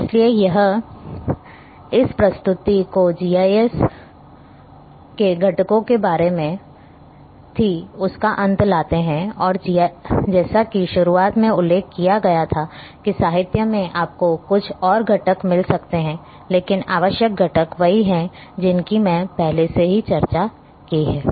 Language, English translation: Hindi, So, this brings end of this presentation on components of GIS as mentioned in the beginning that in literature you might find few more components, but essential components I have already discussed here